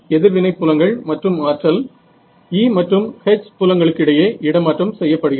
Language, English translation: Tamil, So, reactive fields and energy is transferred between the E and H fields